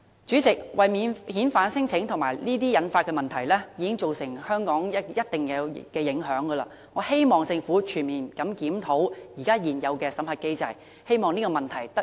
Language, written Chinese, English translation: Cantonese, 主席，免遣返聲請及其引發的問題已對香港造成一定的影響，我希望政府全面檢討現有的審核機制，早日紓解這個問題。, President non - refoulement claims and their resultant problems have brought about quite a number of repercussions to Hong Kong . We hope the Government can conduct a comprehensive review of the existing screening mechanism for early alleviation of the problem